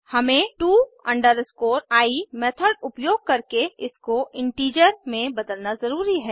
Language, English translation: Hindi, So we need to convert it into integer, using to i method